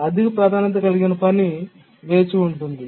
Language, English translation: Telugu, So, the high priority task keeps on waiting